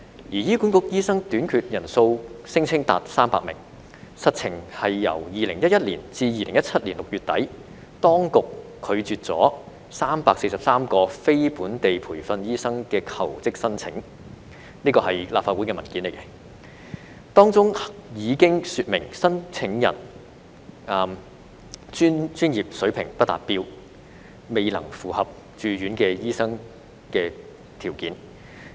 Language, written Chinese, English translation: Cantonese, 醫院管理局聲稱醫生短缺人數達300名，實情是由2011年至2017年6月底，當局拒絕了343宗非本地培訓醫生的求職申請——這是立法會文件提供的資料——當中已經說明申請人專業水平不達標，未能符合駐院醫生的條件。, The Hospital Authority HA claimed that there was a shortage of about 300 doctors but the truth is that HA has rejected 343 job applications from non - locally trained doctors between 2011 and the end of June 2017 . This is the information provided in the Legislative Council paper which shows that the professional standard of the applicants did not meet the criteria for resident doctors